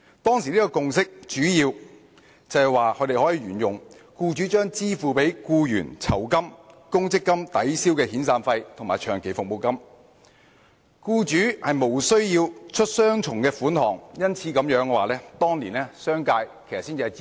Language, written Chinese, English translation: Cantonese, 當時的共識主要是沿用之前的做法，容許僱主將支付給僱員的酬金、公積金抵銷遣散費或長期服務金，使僱主無須付出雙重款項，因此商界當年才會支持。, According to the consensus reached back then the past practices would be primarily followed whereby employers would be allowed to use the gratuity or provident fund paid to employees to offset severance payments or long service payments so that employers would not have to pay double the amount . It was for this reason that the business sector supported this arrangement back then